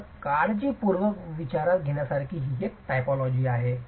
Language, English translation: Marathi, So, this is a typology to be considered carefully